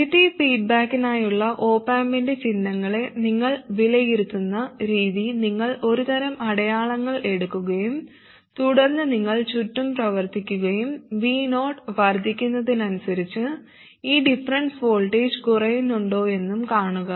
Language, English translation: Malayalam, The way you evaluate the op amp signs for negative feedback is you assume some set of signs and then you work around and then see if this difference voltage reduces as V 0 increases